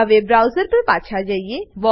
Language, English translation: Gujarati, Now, switch back to the browser